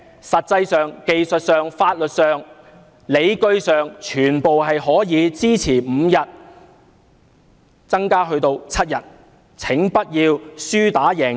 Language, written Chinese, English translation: Cantonese, 實際上、技術上、法律上、理據上，全部也可以支持侍產假由5天增加至7天，請不要輸打贏要。, The increase of paternity leave from five days to seven days is feasible in terms of the actual situation the technical considerations and legal justifications